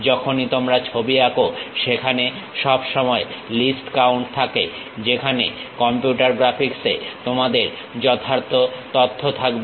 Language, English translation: Bengali, Whenever you are drawing sketches there always be least count whereas, at computer graphics you will have precise information